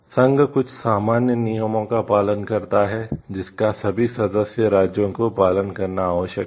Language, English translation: Hindi, The union lays down some common rules which all member states are required to follow